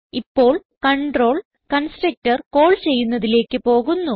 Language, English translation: Malayalam, Now, the control goes back to the calling constructor